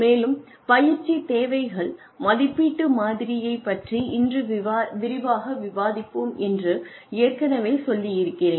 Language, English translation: Tamil, And, I told you that, we will discuss, the training needs assessment model, in greater detail, today